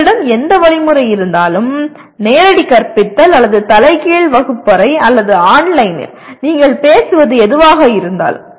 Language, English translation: Tamil, Whatever mechanism that you have, direct teaching or flipped classroom or online; anything that you talk about